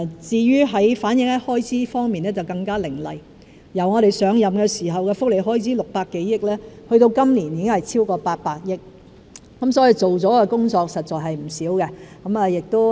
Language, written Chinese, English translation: Cantonese, 至於反映在開支方面更加凌厲，我們上任時的福利開支是600多億元，到今年已經是超過800億元，做了的工作實在是不少的。, Our work is even more acutely reflected in the expenditure . Welfare expenditure was some 60 billion when we took office yet it is now over 80 billion this year . We have actually done a lot of work